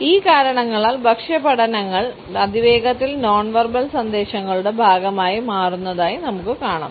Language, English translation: Malayalam, Because of these reasons we find that food studies are fast becoming a part of nonverbal messages